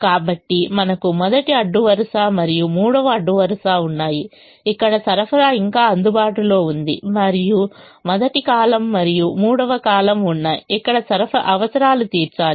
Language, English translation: Telugu, so we have first row and third row where supplies are still available, and first column and third column where requirements have to be met